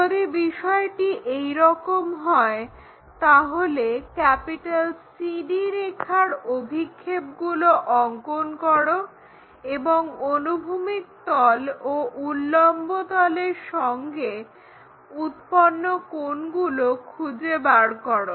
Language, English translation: Bengali, If that is the case draw projections of CD and find angles with horizontal plane and vertical plane